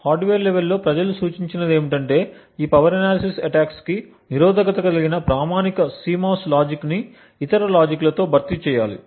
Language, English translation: Telugu, At the hardware level what people have suggested is that the standard CMOS logic be replaced with other logic which are resistant to these power analysis attacks